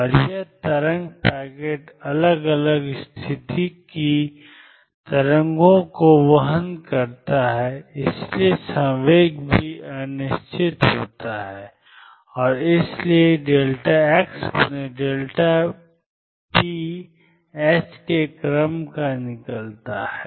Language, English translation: Hindi, And this wave packet carries waves of different case so there is momentum also is uncertain and therefore, delta p delta x comes out to be of the order of h